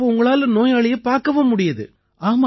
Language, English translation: Tamil, So you see the patient as well